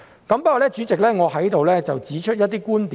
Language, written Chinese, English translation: Cantonese, 不過，代理主席，我要在此提出一些觀點。, However Deputy President here I would like to raise some points